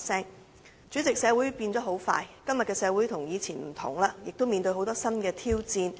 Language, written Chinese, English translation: Cantonese, 代理主席，社會急速變遷，今日的社會已跟以前不同，亦面對很多新的挑戰。, Deputy President in this era of rapid social changes our society nowadays is very much different from before and we are also facing a lot of new challenges